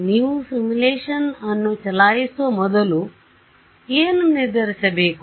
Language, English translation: Kannada, What do you have to decide before you run the simulation